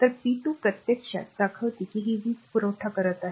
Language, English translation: Marathi, So, p 2 actually this shows actually your what you call it is supplying power